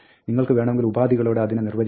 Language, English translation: Malayalam, You can define it conditionally and so on